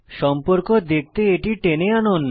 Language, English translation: Bengali, Drag to see the relationship